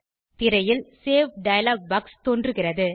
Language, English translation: Tamil, A Save dialog box appears on the screen